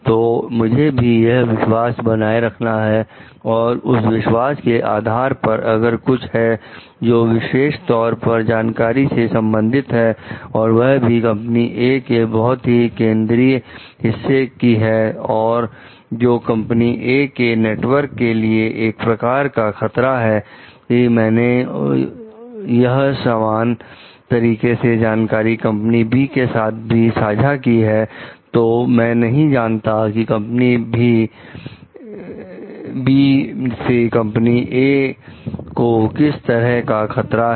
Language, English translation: Hindi, So, I need to keep that trust also and on the basis of that trust, if it is something which is like a knowledge, which is very core to company A and which may lead to threat to the company A s network or not, because if I share similar kind of information to company B, I do not know like where the companies A s network will be under threat or not